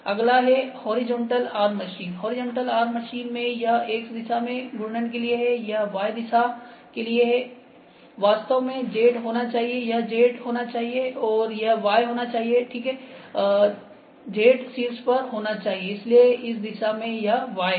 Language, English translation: Hindi, Horizontal arm machines in horizontal arm machines this is for X moment on this direction, y this is actually this should be Z, this should be Z, and this should be Y ok, Z in a top and on direction, so y in this direction